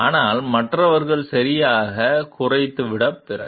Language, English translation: Tamil, So, and after others have been depleted properly